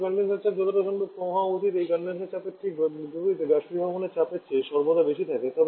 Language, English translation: Bengali, Then the condenser pressure should be as low as possible and just opposite to this condenser pressure is always higher than evaporator pressure